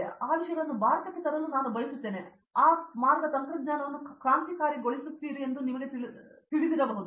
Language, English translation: Kannada, So, I would like to bring those things to India and may be you know you just revolutionize the way technology works